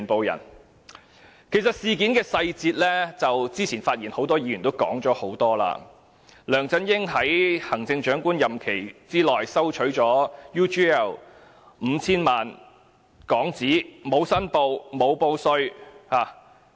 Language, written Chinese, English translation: Cantonese, 有關事件的細節，很多議員多次指出，梁振英在行政長官任期內收取 UGL 公司 5,000 萬港元，但沒有申報或報稅。, On the details of the incident Members have repeatedly pointed out that Chief Executive LEUNG Chun - ying received 50 million from UGL during his term of office but he had not made declaration or filed a tax return